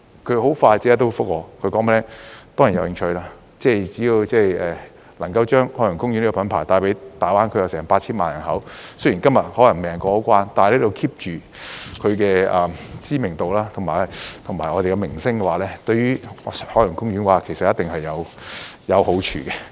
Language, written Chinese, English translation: Cantonese, 他很快便答覆說當然有興趣，只要能夠把海洋公園這個品牌帶給大灣區近 8,000 萬人口——雖然今天未能通關，但可以 keep 着它的知名度和我們的名聲的話——對海洋公園其實一定有好處。, He quickly replied that it was certainly interested as long as it could promote the brand of Ocean Park to nearly 80 million people in the Greater Bay Area . Although normal cross - border travel has yet to be resumed today we will only do good to Ocean Park if we can maintain its popularity and our reputation